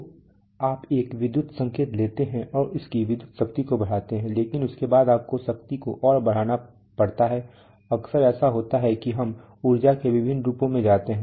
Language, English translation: Hindi, So you take one electrical signal and increase its electrical power but after that you have to, if you want to increase power further often it happens that we go to different forms of energy